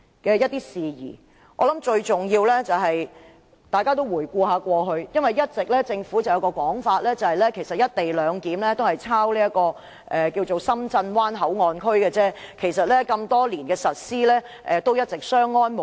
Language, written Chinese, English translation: Cantonese, 我相信最重要是，政府一直有個說法，指是"一地兩檢"其實只是仿效《深圳灣口岸港方口岸區條例》，該條例實施多年，一直相安無事。, I believe that most importantly the Government has always maintained that the co - location arrangement was modelled on that of the Shenzhen Bay Port Hong Kong Port Area Ordinance which has been enforced for years without any conflicts